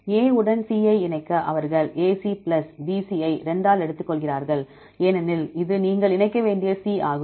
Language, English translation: Tamil, To combine A B with C they take the AC plus BC by 2 because this is a C you have to combine